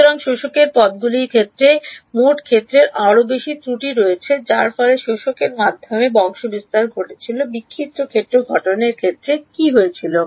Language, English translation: Bengali, So, the in terms of absorbers the total field has more errors due to propagation through absorber what happened to scattered field formulation